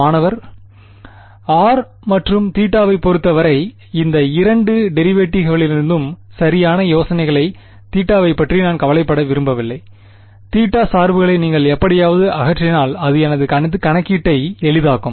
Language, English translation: Tamil, I do not want to care about theta that is the right idea right out of these two derivatives with respect to r and theta if you can somehow remove the theta dependence it would make my calculation easier